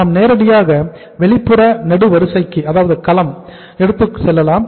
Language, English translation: Tamil, We can directly take to the outer column